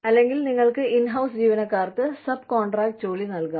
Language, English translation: Malayalam, Or, you could give subcontracted work, to the in house employees